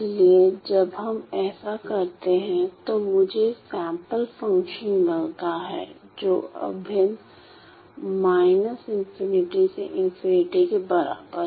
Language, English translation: Hindi, So, when we do that I get I get my sampled function to be equal to integral negative infinity to infinity